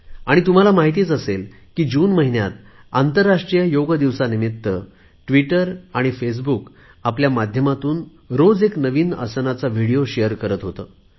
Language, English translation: Marathi, And you probably know that, during the month of June, in view of the International Yoga Day, I used to share a video everyday of one particular asana of Yoga through Twitter and Face Book